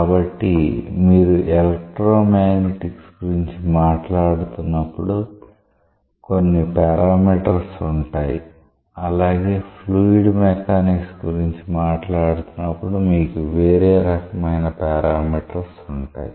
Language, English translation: Telugu, So, when you are talking about electro magnetics you are having certain parameters when you are talking about fluid mechanics you are having different sets of parameters